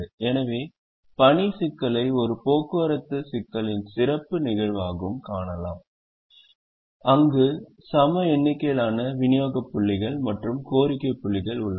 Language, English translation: Tamil, so the assignment problem can also be seen as a special case of a transportation problem where there are equal number of supply points and demand points